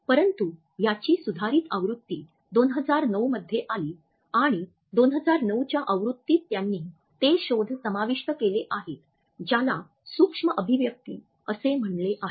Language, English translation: Marathi, But the revised version came up in 2009 and it was in the 2009 edition that he has incorporated his findings about what he has termed as micro expressions